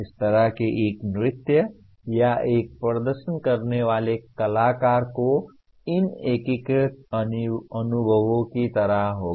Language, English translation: Hindi, A dance like that or a performing artist will kind of have these integrated experiences